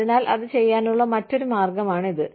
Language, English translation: Malayalam, So, that is another way of doing it